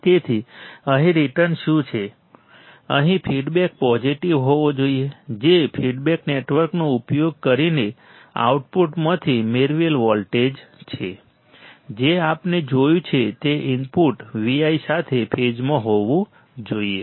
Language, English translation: Gujarati, So, what is the return here that, but the feedback must be positive that is voltage derived from the output using the feedback network must be in phase with input V i correct that we have seen does